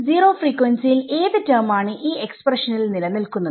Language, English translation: Malayalam, So, at zero frequency what is the term that survives in this expression